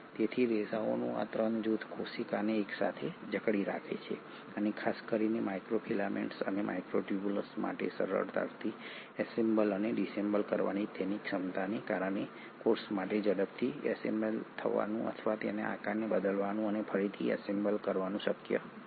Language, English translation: Gujarati, So these 3 group of fibres kind of hold the cell together and because of their ability to easily assemble and dissemble, particularly for microfilaments and microtubules, it is possible for a cell to quickly assemble or change its shape and reassemble